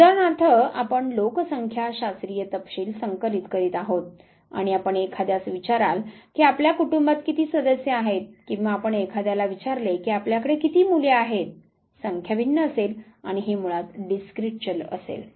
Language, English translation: Marathi, Say for example, if you are collecting demographic details and you ask someone how many family remembers do you have or if you ask somebody how children you have; the number would vary and this would be basically discrete variable